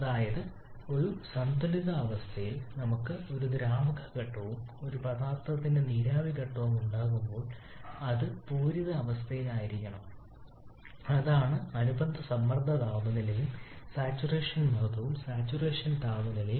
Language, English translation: Malayalam, That is whenever we are having a liquid phase and the vapour phase of the same substance under equilibrium situation in an equilibrium state then that must be under the saturated condition that is the corresponding pressure and temperature will be the saturation pressure and saturation temperature